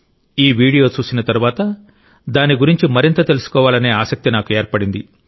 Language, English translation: Telugu, After watching this video, I was curious to know more about it